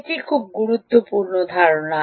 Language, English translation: Bengali, what is a basic idea